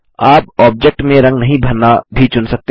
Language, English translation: Hindi, You can also choose not to fill the object with colors